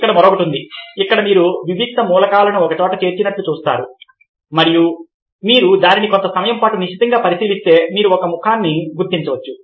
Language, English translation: Telugu, he is another where you see that discrete elements are brought together and if you look closely at it for some time, you can identify a face